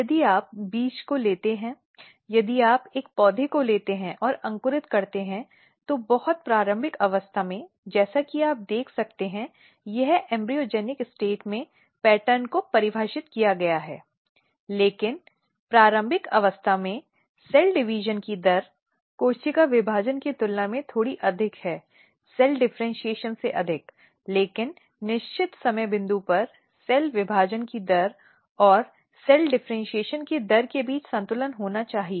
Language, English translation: Hindi, And once this process of differentiation starts one thing is very important, if you take this seed if you take any plant and germinate it at very early stage, as you can see this is at the embryogenic state the pattern is defined, but at early stage may be the rate of cell division is slightly more relative rate of cell division is more than the cell differentiation, but at certain time point there has to be a balance between rate of cell division and rate of cell differentiation